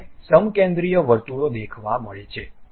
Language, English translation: Gujarati, Concentric circles I am supposed to see